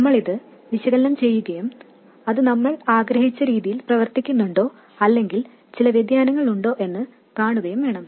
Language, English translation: Malayalam, We need to analyze this and see whether it behaves exactly the way we wanted or are there some deviations